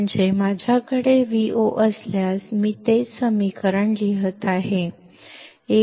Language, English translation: Marathi, That is, if I have V o; I am writing the same equation Ad into V1 minus V2